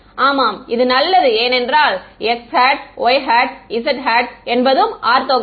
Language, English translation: Tamil, Yeah, fine because this x hat y hat z hat are orthogonal